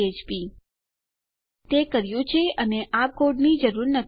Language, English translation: Gujarati, Now weve done that and we really dont need this code